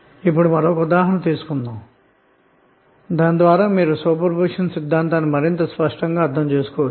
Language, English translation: Telugu, Now let us take one example so that you can understand the super position theorem more clearly